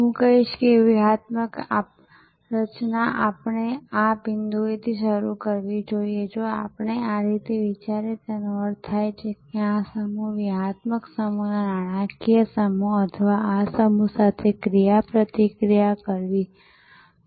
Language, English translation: Gujarati, I would say that strategy we should start at this point, if we think in this way which means that these set, the financial set of the strategic set must interact with this set